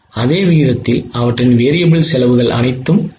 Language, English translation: Tamil, So their variable cost will also reduce in the same proportion